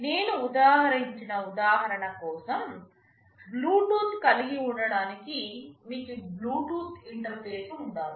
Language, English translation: Telugu, Just for the example I cited, for having Bluetooth you need to have a Bluetooth interface